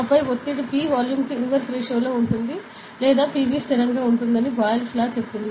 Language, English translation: Telugu, And then there is, Boyle’s Law that says, that pressure P is inversely proportional to the volume or PV is a constant ok, constant a like that